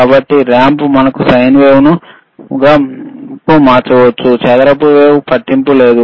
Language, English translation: Telugu, So, ramp you can change to the sine wave, you can change the square wave, does not matter